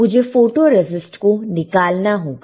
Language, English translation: Hindi, I have to remove the photoresist